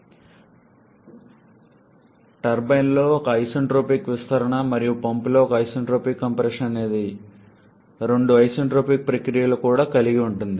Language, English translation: Telugu, And it also involves two isentropic processes one isentropic expansion in the turbine and one isentropic compression in the pump